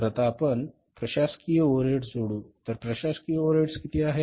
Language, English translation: Marathi, So now we are adding the administrative overheads